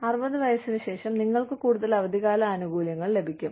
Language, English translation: Malayalam, After the age of 60, you will get more vacation benefits